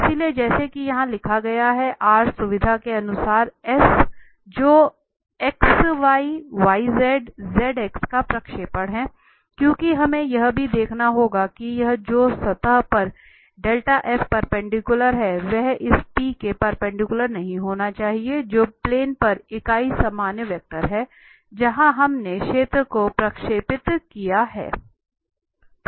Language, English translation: Hindi, So, as written here R is the projection of S on the xy, yz or zx plane as per the convenience, because we have to also look that this del F which is the perpendicular to the surface should not be perpendicular to this p, which is the unit normal vector on the plane where we have projected the surface